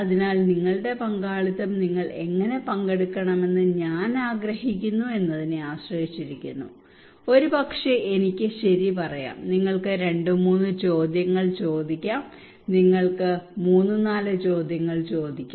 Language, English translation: Malayalam, So your participation depends on that how I want you to participate maybe I can say okay you can ask two three questions you can ask three four questions that is it